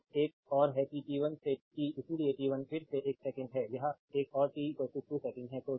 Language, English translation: Hindi, So, another is that t 1 to t; so, t 1 again is one second this is one and t is equal to 2 second